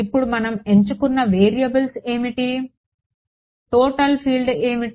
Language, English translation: Telugu, Now what are the variables that we have chosen over here what are they total field